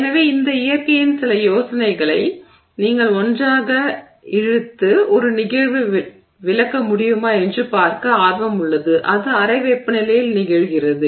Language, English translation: Tamil, So, there is some interest to see if you know some ideas of this nature can be pulled together to explain a phenomena that happens at room temperature